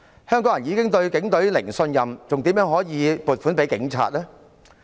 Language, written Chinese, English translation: Cantonese, 香港人已經對警隊"零信任"，怎可以撥款給警察呢？, The people of Hong Kong already have zero trust in the Police Force . How can funds be allocated to the Police?